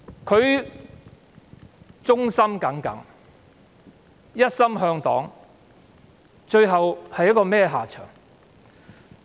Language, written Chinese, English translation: Cantonese, 他忠心耿耿，一心向黨，最後落得如此下場。, Despite his loyalty and great dedication to CPC he died tragically